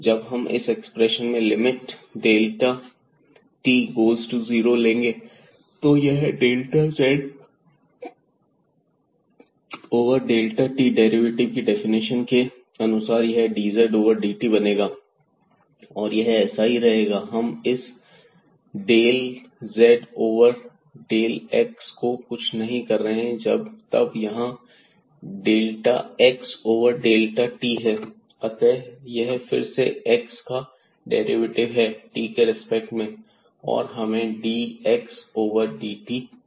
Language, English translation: Hindi, So, this delta z over delta t as per the definition of the of the derivative of z will be like dz over dt and this will remain as it is; we are not touching this del z over del x and then we have here delta x over delta t